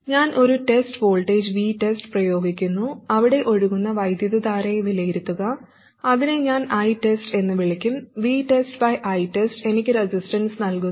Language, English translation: Malayalam, I apply a test voltage, V test, evaluate the current that is flowing there, which I'll call I test, and V test by I test gives me the resistance